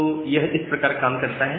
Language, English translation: Hindi, So, this works in this way